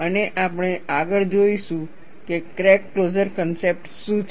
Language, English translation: Gujarati, And we will further see, what the crack closure concept is all about